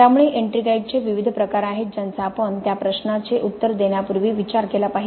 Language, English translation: Marathi, So there are different types of ettringite which we must consider before we answer that question